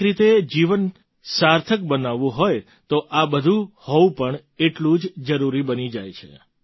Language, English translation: Gujarati, In a way if life has to be meaningful, all these too are as necessary…